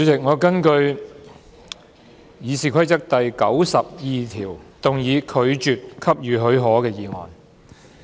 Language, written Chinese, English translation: Cantonese, 主席，我根據《議事規則》第902條，動議拒絕給予許可的議案。, President I move the motion under Rule 902 of the Rules of Procedure that the leave be refused